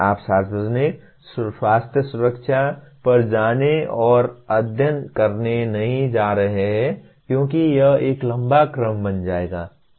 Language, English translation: Hindi, You are not going to go and study public health, safety because it will become a tall order